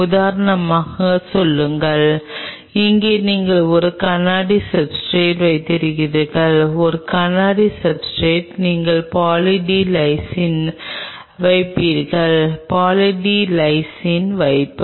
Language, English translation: Tamil, Say for example, here you have a substrate a glass substrate, on a glass substrate you deposit Poly D Lysine; deposit Poly D Lysine